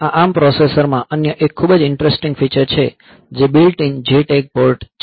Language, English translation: Gujarati, Another very interesting feature that this ARM processor has, is the built in JTAG port